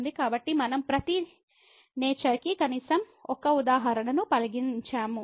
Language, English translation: Telugu, So, we have considered at least 1 example of each nature